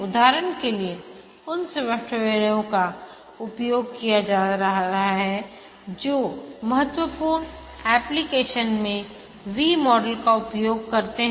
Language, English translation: Hindi, For example, those software being used in critical applications, the B model is used